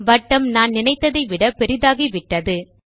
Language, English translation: Tamil, Oops, the circle is larger than what I wanted